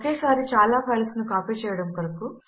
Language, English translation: Telugu, To copy multiple files at the same time